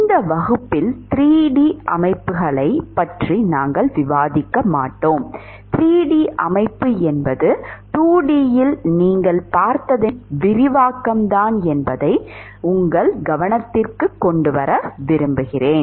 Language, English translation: Tamil, We will not discuss 3D systems in this class I would like to bring your notice that 3D system is just an extension of what you would see in a 2D